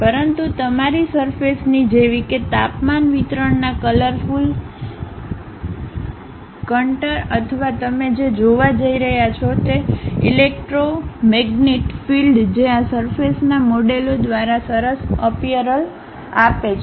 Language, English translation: Gujarati, But, your surface information like a colorful contour of temperature distribution or electromagnetic field what you are going to see, that gives a nice appeal by this surface models